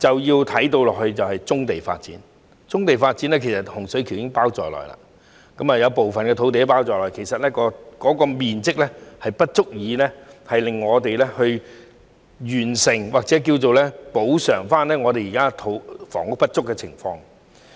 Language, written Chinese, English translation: Cantonese, 此外，還有棕地發展，當中包括洪水橋的部分土地，但該處的面積不足以令我們完成或補償現時香港房屋不足的情況。, The other is the development of brownfield sites including part of the land in Hung Shui Kiu but the size is not enough to meet or make up for the present shortfall in housing supply in Hong Kong